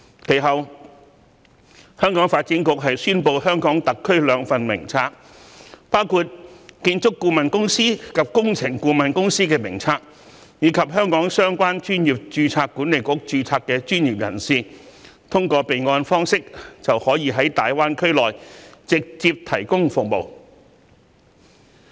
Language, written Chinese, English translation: Cantonese, 其後，香港發展局宣布和香港特區有關的兩份名冊，分別是建築顧問公司及工程顧問公司名冊，讓香港相關專業註冊管理局註冊的專業人士可通過備案方式，在大灣區直接提供服務。, The Development Bureau subsequently drew up two lists of related companies in HKSAR namely the list of architectural consultants and the list of engineering consultants so that professionals registered with relevant registration boards in Hong Kong may directly provide services in GBA through a registration system